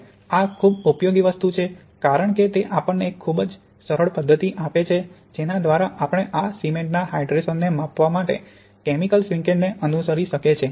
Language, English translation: Gujarati, Now this is very useful thing because it gives us a very, very simple method by which we can follow the hydration in this chemical shrinkage measurement